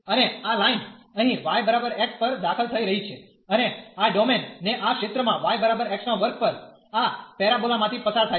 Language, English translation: Gujarati, And this line will is entering here at y is equal to x and living this domain this region at y is equal to x square this parabola